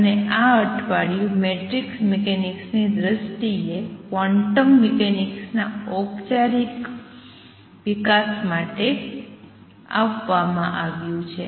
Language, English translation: Gujarati, And this week has been devoted to the formal development of quantum mechanics in terms of matrix mechanics